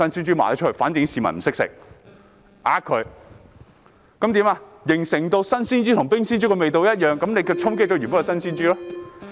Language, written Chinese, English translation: Cantonese, 這樣市民便以為新鮮豬肉與冰鮮豬肉味道一樣，結果衝擊原本的新鮮豬肉。, As a result the public think that chilled pork tastes the same as fresh pork and fresh pork is affected